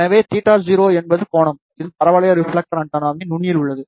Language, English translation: Tamil, So, theta 0 is the angle, which is at the tip of the parabolic reflector antenna